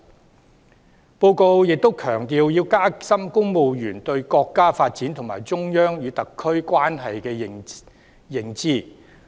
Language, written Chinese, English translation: Cantonese, 施政報告亦強調要加深公務員對國家發展和中央與特區關係的認識。, The Policy Address also emphasizes the need to deepen civil servants understanding of the countrys development and the relationship between the Central Government and the SAR